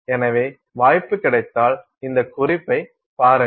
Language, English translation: Tamil, So, if you get a chance take a look at this reference